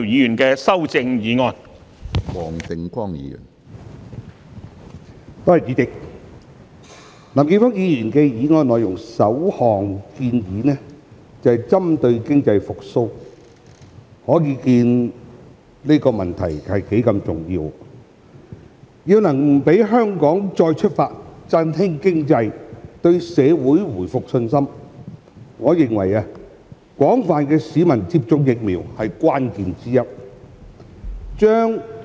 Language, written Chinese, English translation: Cantonese, 主席，林健鋒議員議案的首項建議便是針對經濟復蘇，可見其重要性；而要讓香港再出發，振興經濟，對社會回復信心，我認為廣泛市民接種疫苗是關鍵之一。, President the first proposal in Mr Jeffrey LAMs motion focuses on economic recovery which shows its importance . One of the keys to enabling Hong Kong to take off again boosting the economy and restoring confidence in society lies in the extensive inoculation by the public